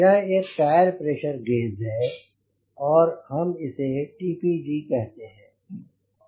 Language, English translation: Hindi, so this is a tire pressure gauge